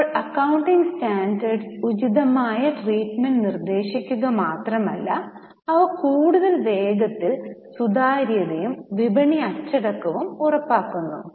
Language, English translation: Malayalam, Now, accounting standards not only prescribe appropriate treatment but they foster greater transparency and market discipline